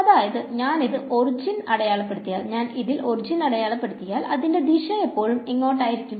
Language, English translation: Malayalam, So, if I plot this on the origin it will always be pointing in which direction